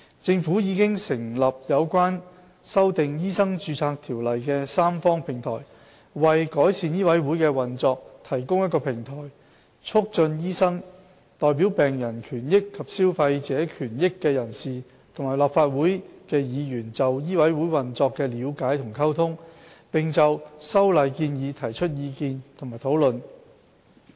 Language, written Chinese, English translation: Cantonese, 政府已成立有關修訂《醫生註冊條例》的三方平台，為改善醫委會的運作提供平台，以促進醫生、代表病人權益及消費者權益的人士和立法會議員就醫委會運作的了解及溝通，並就修例建議提出意見和討論。, The Government has set up a Tripartite Platform on Amendments to MRO which aims to provide a platform to promote understanding and communication among doctors persons representing patients and consumers interests and Members of the Legislative Council on improving the operation of MCHK as well as to offer views and deliberate on amendment proposals to MRO